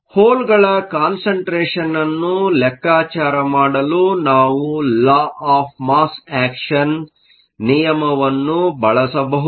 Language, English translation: Kannada, To calculate the hole concentration we can use the law of mass action